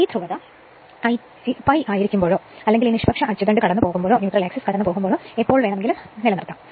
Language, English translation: Malayalam, This polarity this will maintain right whenever it is pi or at any instant when it is passing this neutral axis